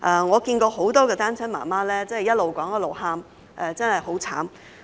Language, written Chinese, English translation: Cantonese, 我看過很多單親媽媽一邊說一邊哭，真的很慘。, I have witnessed quite a number of single mothers crying while telling their stories which is really heart - wrenching